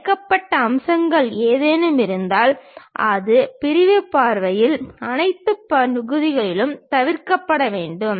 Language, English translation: Tamil, If there are any hidden features, that should be omitted in all areas of sectional view